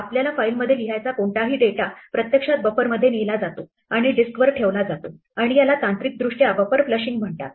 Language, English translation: Marathi, Any data we want to write to the file is actually taken out to the buffer and put on to the disk and this technically called flushing the buffer